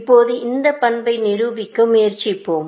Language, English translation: Tamil, Now, let us try to prove this property, essentially